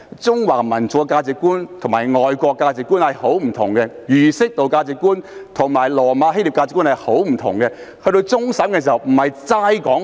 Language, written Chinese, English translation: Cantonese, 中華民族的價值觀與外國的價值觀是相當不同的，而儒釋道的價值觀與羅馬希臘的價值觀也十分不同。, The values of the Chinese nation are vastly different from those of foreign countries . The values of Confucianism Buddhism and Taoism are very different from those of Rome and Greece